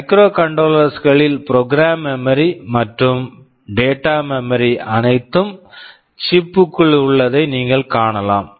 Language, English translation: Tamil, You see in microcontrollers I told that memory what program memory and data memory are all inside the chip